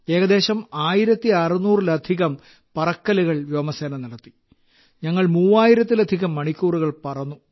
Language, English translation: Malayalam, Sir, the Air force has completed more than about 1600 sorties and we have flown more than 3000 hours